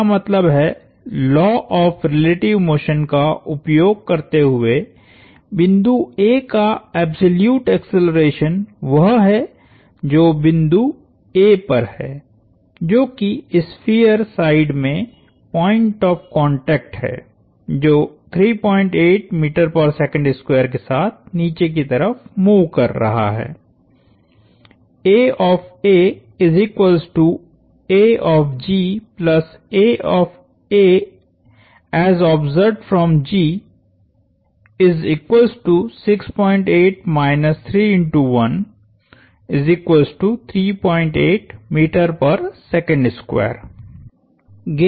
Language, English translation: Hindi, That means, the absolute acceleration of the point A, using the laws of relative motion is that at the point A, which is the point of contact on the sphere side is moving down at 3